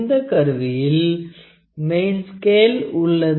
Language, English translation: Tamil, This instrument is having main scale